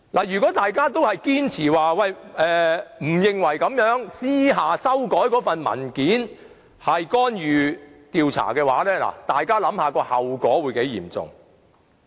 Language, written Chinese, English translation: Cantonese, 如果大家堅持不認為私下修改文件是干預調查的話，大家試想象後果會有多嚴重。, If Members maintain that the clandestine amendment of the document does not constitute an interference with the inquiry please think about the serious consequences that may arise